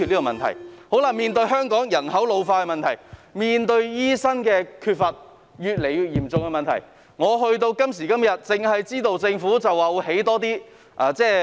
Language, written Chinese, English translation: Cantonese, 面對香港人口老化，以及醫生人手不足越來越嚴重的問題，政府今時今日只表示會興建更多院舍。, In the face of the ageing population in Hong Kong and the increasing shortage of doctors the Government so far has merely indicated that more hospitals will be built